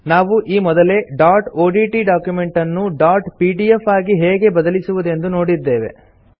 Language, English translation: Kannada, We have already seen how to convert a dot odt document to a dot pdf file